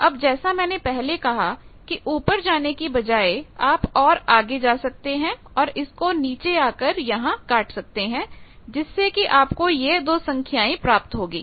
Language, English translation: Hindi, Now as I already said that instead of moving upward you can further go and cut the point downward, these 2 values will get